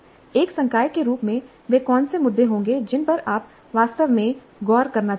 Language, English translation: Hindi, As a faculty, what would be the issues that you want to really look at the challenges